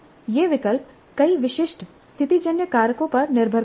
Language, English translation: Hindi, These choices depend on many specific situational factors